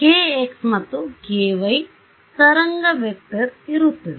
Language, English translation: Kannada, There will be a kx and a ky wave vector right